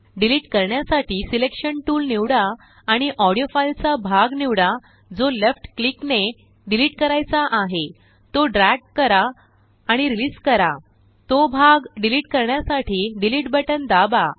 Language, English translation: Marathi, To delete, select the Selection tool and select the part of the audio that needs to be deleted by left click, drag and then release, press delete to delete that part of the audio